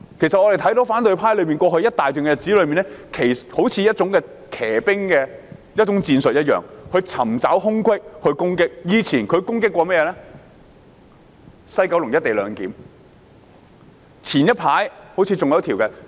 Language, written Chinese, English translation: Cantonese, 其實，我們看到反對派在過去一段日子中，好像採取騎兵戰術，尋找空隙作出攻擊，他們過去攻擊西九龍站的"一地兩檢"方案，早前攻擊《國歌條例草案》。, In fact we have seen how the opposition camp adopted cavalry tactics and identified loopholes for launching attacks . They attacked the co - location arrangement at the West Kowloon Station in the past and earlier they attacked the National Anthem Bill